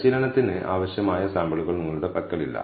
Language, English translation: Malayalam, You do not have sufficient samples for training